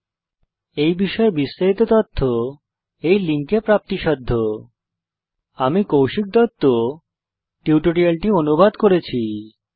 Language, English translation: Bengali, More information on this Mission is available at the following linkspoken HYPHEN tutorial DOT org SLASH NMEICT HYPHEN Intro This tutorial has been contributed by TalentSprint